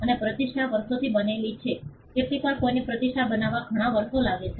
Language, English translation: Gujarati, And a reputation is built over years sometimes it takes many years for somebody to build a reputation